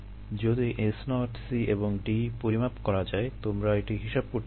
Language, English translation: Bengali, if s naught, c and d can be measured, you can calculate this right